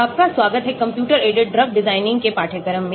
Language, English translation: Hindi, Welcome to the course on computer aided drug design